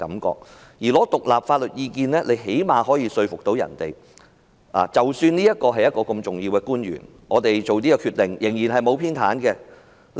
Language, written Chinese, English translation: Cantonese, 至於尋求獨立法律意見，最低限度可以說服人們，即使案件涉及這位重要的官員，但所作的決定是沒有偏袒的。, As to seeking independent legal advice at least the public should be convinced that even a senior government official is involved DoJ has made unbiased decision